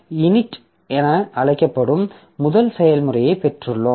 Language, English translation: Tamil, So, we have got the first process which is known as the init, okay